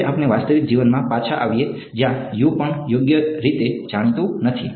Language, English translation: Gujarati, Now let us come back to real life where U is also not known right